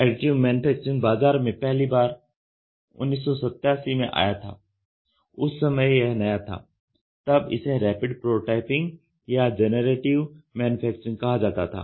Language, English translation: Hindi, When the first approaches to Additive Manufacturing entered the market in 1987, it is very new it was called as Rapid Prototyping or it was called as Generative Manufacturing